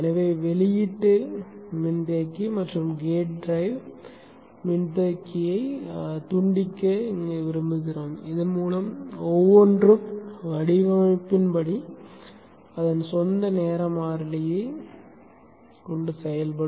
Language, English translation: Tamil, So we would like to decouple the output capacitor and the gate rail capacitor so that each can independently have its own type constant as per design